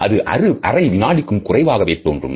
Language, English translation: Tamil, They typically last less than half a second